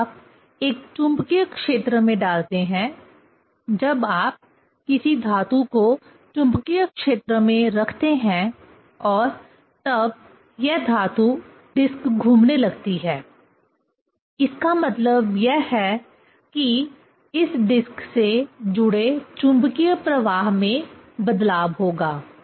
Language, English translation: Hindi, When you put in a magnetic field; when you put a metal in a magnetic field and then this metal disc is rotating; that means, it is there will be change the magnetic flux linked with this disc